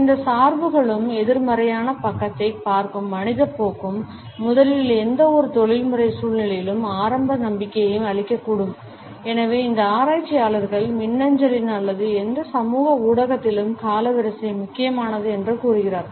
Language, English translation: Tamil, And these biases and the human tendency to look at the negative side, first, can erode the initial trust in any professional situation and therefore, these researchers tell us that chronemics in e mail or in any social media is important